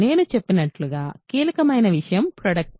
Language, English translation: Telugu, The crucial thing as I said is the product